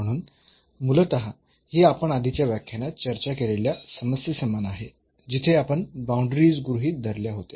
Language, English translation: Marathi, So, basically this is similar to the problem we have discussed in the previous lecture where, we had taken the boundaries into the consideration